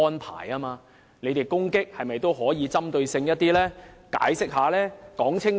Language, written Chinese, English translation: Cantonese, 他們作出的批評可否更具針對性，解釋得更清楚呢？, I wonder if pro - establishment Members could make their criticisms up to point and explain their arguments with clarity